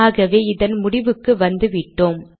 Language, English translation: Tamil, And we have come to the end of this document